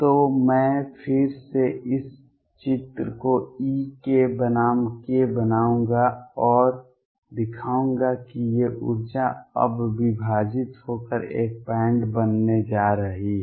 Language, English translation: Hindi, So, I will again make this picture e k versus k and show that these energy is now are going to split and make a band